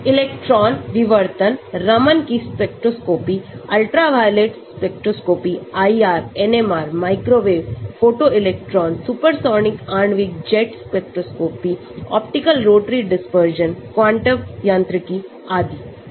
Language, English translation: Hindi, Electron Diffraction, Raman's spectroscopy, Ultraviolet spectroscopy, IR, NMR, Microwave, Photoelectron, Supersonic Molecular Jet spectroscopy, Optical Rotatory Dispersion Quantum Mechanics so many